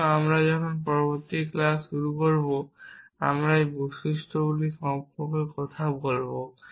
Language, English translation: Bengali, So when we begin the next class, we will talk about these properties